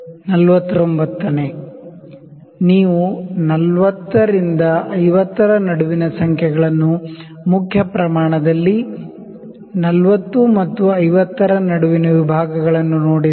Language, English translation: Kannada, 49th, if you see the numbers between 40 and 50 the divisions between 40 and 50 on the main scale